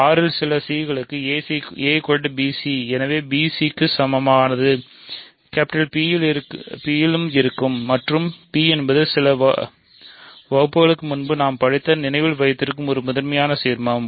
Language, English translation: Tamil, So, a is equal to b c for some c in R, hence a equal to b c belongs to P and P is a prime ideal remember from a few lectures ago